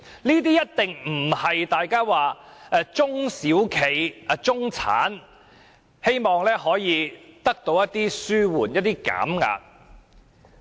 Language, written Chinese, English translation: Cantonese, 這一定不是大家口中的中小企或中產人士所希望得到的紓緩、減壓效果。, This is definitely not the relief to be enjoyed by SMEs or the middle class as everyone thinks